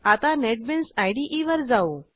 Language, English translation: Marathi, Now let us switch to Netbeans IDE